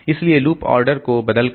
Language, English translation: Hindi, So, you see, just changing the loops